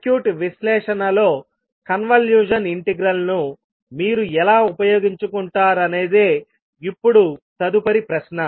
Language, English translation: Telugu, Now the next question would be how you will utilize the convolution integral in circuit analysis